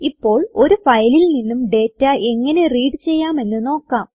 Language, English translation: Malayalam, Now we will see how to read data from a file